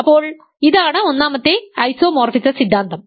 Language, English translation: Malayalam, So, we can ask for this isomorphism